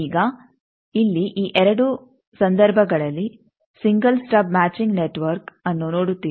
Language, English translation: Kannada, Now, here in both these cases single stub matching network